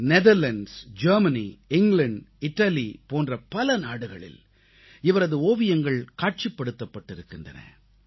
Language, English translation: Tamil, He has exhibited his paintings in many countries like Netherlands, Germany, England and Italy